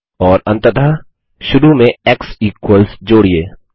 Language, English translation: Hindi, And finally add x equals to the beginning